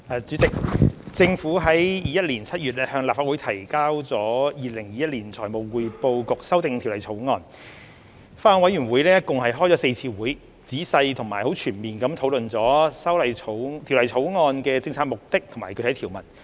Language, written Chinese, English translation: Cantonese, 主席，政府在2021年7月向立法會提交《2021年財務匯報局條例草案》後，法案委員會共舉行了4次會議，仔細並全面地討論了《條例草案》的政策目的和具體條文。, President after the Government introduced the Financial Reporting Council Amendment Bill 2021 the Bill into the Legislative Council in July 2021 the Bills Committee held a total of four meetings to discuss the policy objective and specific provisions of the Bill in a detailed and comprehensive manner